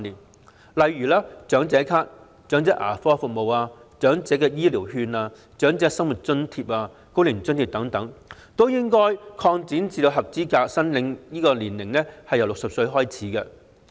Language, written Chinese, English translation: Cantonese, 舉例而言，長者咭、長者牙科服務、長者醫療券、長者生活津貼、高齡津貼等均應該將合資格申領年齡下調至60歲。, For example the eligibility age for the Senior Citizen Cards elderly dental services the Elderly Health Care Vouchers the Old Age Living Allowance the Old Age Allowance etc . should be lowered to 60